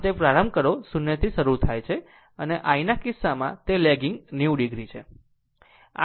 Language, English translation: Gujarati, So, start from it is starting from 0 and in the case of I, it is lagging by 90 degree